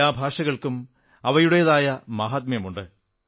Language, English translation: Malayalam, Every language has its own significance, sanctity